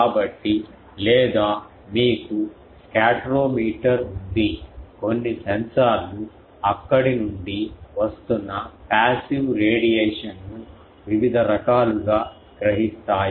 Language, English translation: Telugu, So, or you have some scatterometer, some sensors are there who senses various whatever passive radiation coming